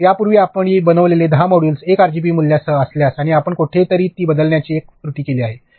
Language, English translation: Marathi, So, if your 10 modules previously made were with a 1 RGB value and you made one error of changing G somewhere